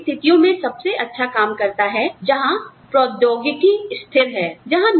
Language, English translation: Hindi, It works best in situations, where technology is stable